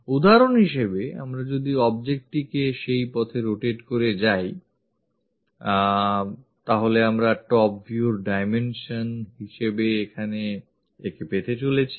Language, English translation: Bengali, For example, if we are rotating this object in that way, we are going to get this one as the dimension here for the top view